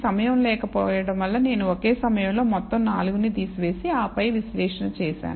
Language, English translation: Telugu, And redo this because of lack of time, I have just removed all 4 at the same time and then done the analysis